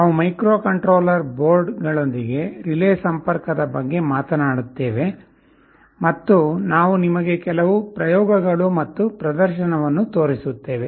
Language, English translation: Kannada, We shall be talking about relay interfacing with microcontroller boards and we shall be showing you some experiments and demonstration